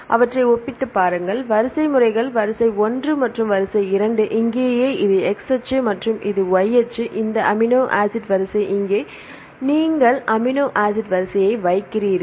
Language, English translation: Tamil, So, take the compare the sequences take sequence one and sequence two right here this is the x axis, and here is the y axis, this amino acid sequence, here you put the amino acid sequence